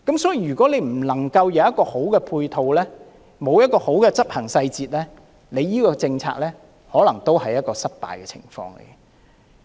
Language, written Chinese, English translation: Cantonese, 所以，如果無法提供良好的配套，沒有一個好的執行細節，這個政策可能都會失敗。, Therefore in the absence of good supporting measures and well - thought - out implementation details this policy may still end up in failure